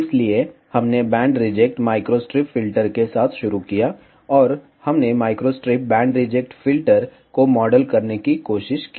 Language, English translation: Hindi, So, we started with band reject microstrip filter, and we tried to model microstrip band reject filter